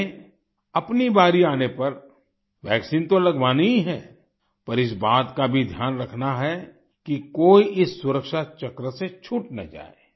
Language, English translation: Hindi, We have to get the vaccine administered when our turn comes, but we also have to take care that no one is left out of this circle of safety